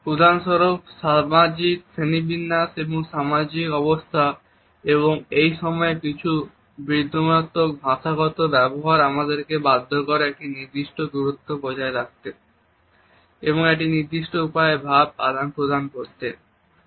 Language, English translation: Bengali, For example, the social hierarchy, and the social status and at the same time certain ironical linguistic behavior which compel that we maintain a certain way of distance and certain way of communication